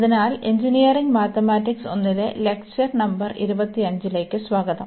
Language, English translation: Malayalam, So, welcome back to the lectures on Engineering Mathematics 1, and this is lecture number 25